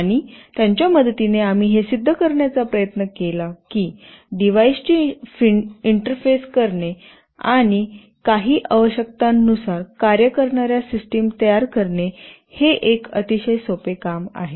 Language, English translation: Marathi, And with the help of those we tried to demonstrate that it is quite a simple task to interface devices and build systems that work according to some requirements